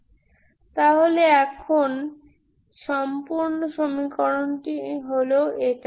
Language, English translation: Bengali, So now whole equation is this